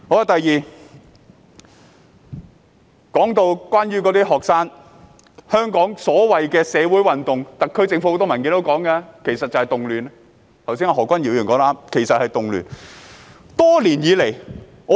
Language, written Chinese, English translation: Cantonese, 第二，關於學生和所謂的社會運動，很多特區政府文件也形容為動亂，而何君堯議員剛才說得對，那些其實是動亂。, Secondly with regard to students and the so - called social movements which have been described as unrests in many government papers just now Dr Junius HO was right in saying that these are indeed unrests